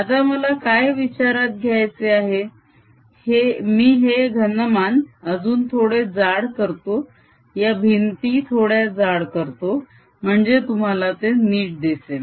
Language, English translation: Marathi, what i want to consider now i'll make this volume little thicker, so that the walls little thicker, so that you see it clearly